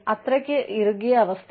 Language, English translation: Malayalam, It is such a tight situation